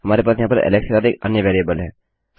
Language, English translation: Hindi, We have another variable here with Alex